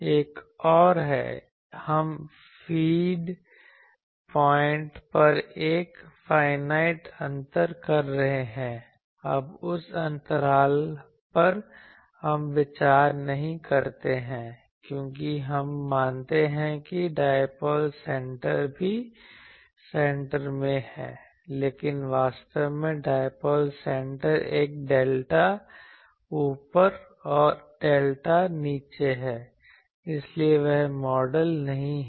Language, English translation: Hindi, Another is we are a having a finite gap at the feed point, now that gap we do not consider, because we consider that the dipoles centre is also at the center, but actually dipole center is a delta up, and the delta down so that is not model